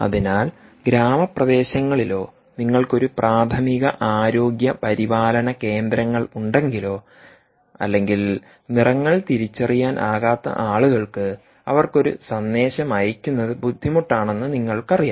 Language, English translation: Malayalam, so you can see that if, supposing, in rural areas or you have a primary health care centres or you have people who dont know are able to identify colours very well, but you know, find it difficult to send out a message